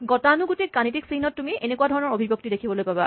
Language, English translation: Assamese, In conventional mathematical notation, you might see this kind of expression